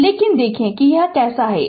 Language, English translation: Hindi, So, but see how is it